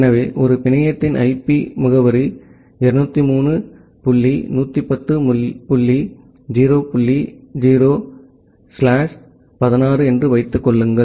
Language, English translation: Tamil, So, assume that the IP address of a network is 203 dot 110 dot 0 dot 0 slash 16